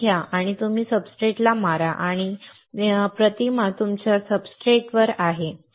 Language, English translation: Marathi, You take it, you hit the substrate and the pattern is there on your substrate